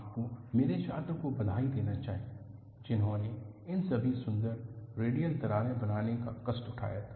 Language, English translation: Hindi, You should congratulate my student, who had taken the trouble of making all these beautiful radial cracks